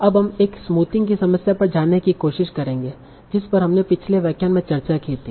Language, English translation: Hindi, So now we will try to go to the problem of smoothing that we discussed in the last lecture